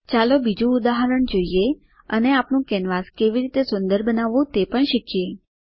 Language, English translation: Gujarati, Lets look at another example and also learn how to beautify our canvas